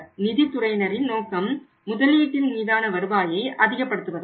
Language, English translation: Tamil, And objective of finance department is to maximize the return on investment to maximize the return on investment